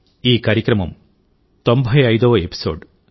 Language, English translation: Telugu, This programmme is the 95th episode